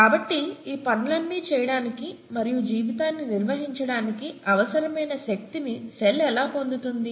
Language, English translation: Telugu, So how does the cell get the needed energy to do all these things and maintain life